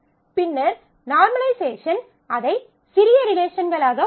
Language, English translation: Tamil, And then normalization will break them into smaller relations